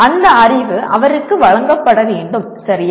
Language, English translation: Tamil, That knowledge will have to be presented to him, okay